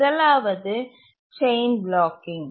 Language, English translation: Tamil, The first one is chain blocking